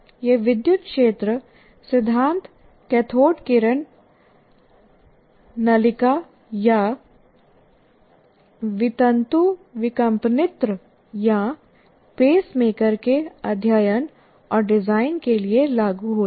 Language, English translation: Hindi, And these principle, electric field principles are applied to study and design cathodeary tube, heart, defibrillator, or pacemaker